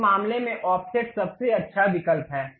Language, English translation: Hindi, In this case, offset is the best option to really go with